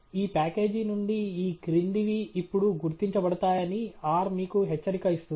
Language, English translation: Telugu, And R gives you a warning that the following objects are now marked from this package and so on